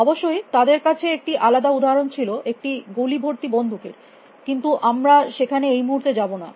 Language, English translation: Bengali, Of course, they have a different example log out a loaded gun, if you will not get into right now